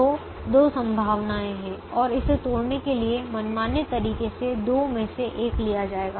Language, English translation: Hindi, so there are two possibilities and any arbitrary way of breaking it would have given one out of the two